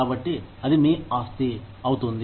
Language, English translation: Telugu, So, it becomes your property